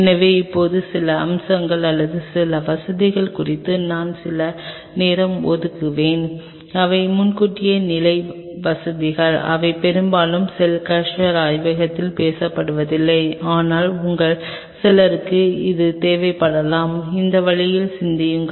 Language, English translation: Tamil, So, now, I will devote a little time on some of the aspects or some of the facilities which are kind of advance level facilities, which most of the time are not being talked in a cell culture lab, but some of you may needed to think in that way too